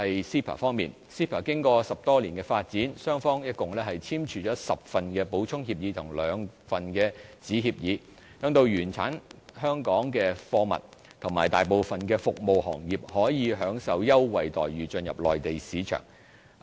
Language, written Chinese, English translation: Cantonese, CEPA 經過10多年發展，雙方一共簽署了10份補充協議和兩份子協議，讓原產香港的貨物和大部分服務行業可以享受優惠待遇進入內地市場。, After over decade - long development the two sides have mutually signed 10 supplements and 2 subsidiary agreements under CEPA which have enabled Hong Kong products and most service sectors to enter the Mainland market under preferential treatment